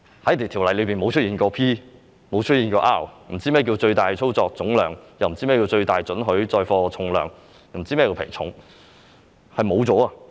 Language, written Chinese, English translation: Cantonese, 《條例》不曾出現 "P" 或 "R"， 他們不知道何謂"最大操作總重量"，不知道何謂"最大准許載貨重量"，又不知道何謂"皮重"。, Since P or R does not exist in the Ordinance the layman will not understand the meaning of maximum operating gross mass maximum permissible payload and tare weight